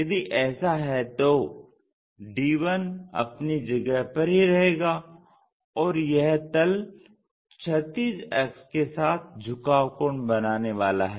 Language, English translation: Hindi, If that is the case, d 1 remains same there, but a a to d is going to make an inclination angle with respect to our horizontal axis